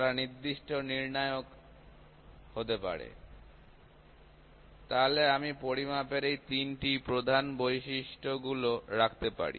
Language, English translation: Bengali, So, they can be certain criteria; so I would rather put these three major characteristics of measurement